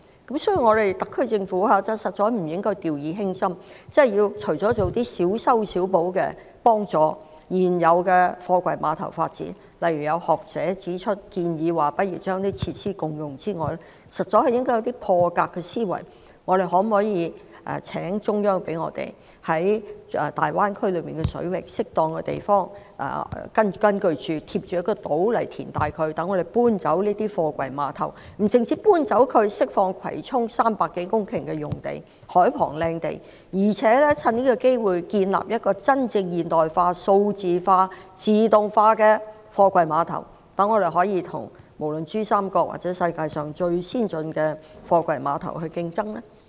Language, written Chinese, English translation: Cantonese, 有見及此，特區政府實在不能掉以輕心，除了小修小補，協助現有貨櫃碼頭發展外，例如有學者建議共用設施，實在應該有破格的思維，例如可否請求中央政府讓我們在大灣區水域內的適當地方，沿島填海，以供搬遷貨櫃碼頭，這不但可以釋放葵涌海旁300多公頃的優質土地，更可藉此機會建立真正現代化、數碼化和自動化的貨櫃碼頭，讓我們能夠與珠三角以至世界上最先進的貨櫃碼頭競爭。, Apart from doing minor patch - up work to assist in the development of the existing container terminals such as the sharing of facilities proposed by some scholars it should think out of the box . For instance consideration can be given to seeking approval from the Central Government for carrying out reclamation along the islands at appropriate locations in the waters of the Greater Bay Area to enable relocation of the container terminals . This will not only release a prime site of 300 - odd hectares at the waterfront of Kwai Chung but also seize the opportunity to build container terminals which are truly modernized digitalized and automated to compete with other container terminals in the Pearl River Delta and even the most advanced ones in the world